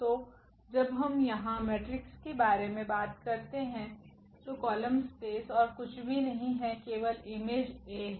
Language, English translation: Hindi, So, when we talk about the matrices here the column space is nothing but they will span the column space is nothing but the image of A